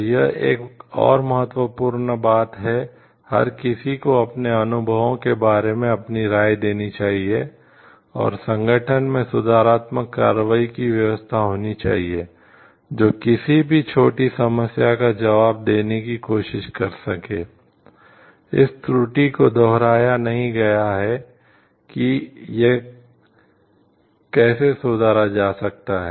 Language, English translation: Hindi, So, this is another important thing everybody should give their feedback about their experiences, and there should be corrective action system present in the organization, which can try to answer to the any minor problem that is happening, how corrections can be made and to see like the fault is not repeated again